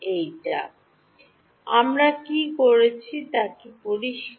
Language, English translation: Bengali, Is it clear what we did